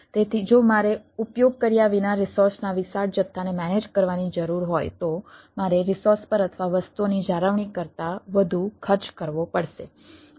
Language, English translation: Gujarati, so if i need to manage huge volume of resources without utilization, then i have to incur what we say more cost on the resources or ah than in maintaining the things